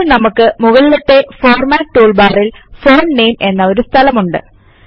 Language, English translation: Malayalam, Now in the Format tool bar at the top, we have a field, named Font Name